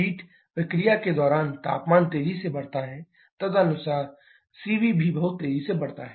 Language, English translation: Hindi, In this heat addition process temperature increases’ rapidly according the CV increases also very rapidly